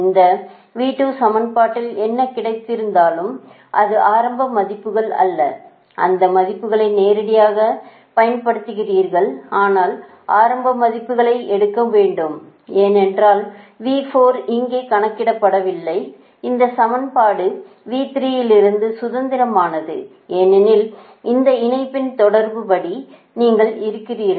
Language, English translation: Tamil, whatever you got v two in this equation, v two is advantage, the initial values, this value directly you put, but before initial value you have to take, because ah, v four is not computed here right and this in equation is also independent of v three, because, according to the ah connection that you are, you are according to this line, connectivity, right now